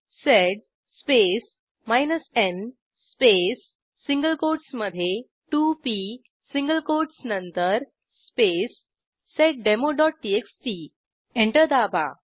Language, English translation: Marathi, To only print the second line Type sed space n space 2p after the single quotes space seddemo.txt Press Enter